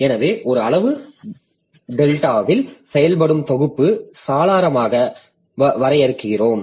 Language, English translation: Tamil, So, we define a quantity delta to be the working set window